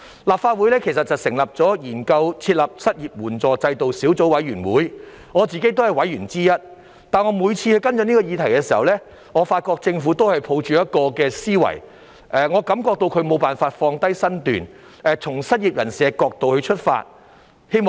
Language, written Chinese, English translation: Cantonese, 立法會其實成立了研究在港設立失業援助制度小組委員會，我自己也是委員之一，但我每次跟進這個議題時，我發覺政府也是抱着同一種思維，感覺到他們無法放下身段，從失業人士的角度出發。, The Legislative Council has in fact formed a Subcommittee to Study the Setting Up of an Unemployment Assistance System in Hong Kong of which I am also a member . But every time when I followed up on this issue I found that the Government had the same mindset and felt that they could not come down off their high horse by looking at this issue from the perspective of the unemployed